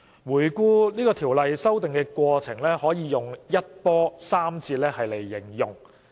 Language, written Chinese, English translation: Cantonese, 回顧修訂《僱傭條例》的過程，可以用"一波三折"來形容。, Looking back on the course of amending the Ordinance it can be described as full of twists and turns